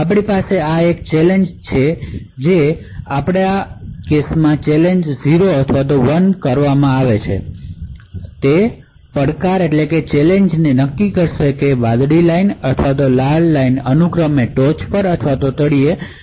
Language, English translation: Gujarati, So, we also have a challenge which is present, so we have challenges which is 0 or 1, and essentially what the challenge does is that it decides whether the blue line or the red line should be switched on top or bottom respectively